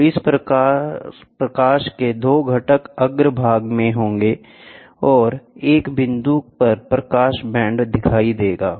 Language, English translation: Hindi, So, thus the 2 components of light will be in face, and the light band will be seen at a point